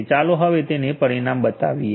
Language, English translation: Gujarati, Now let us show you the results